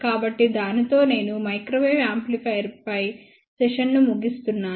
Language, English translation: Telugu, So, with that I can conclude the session on microwave amplifier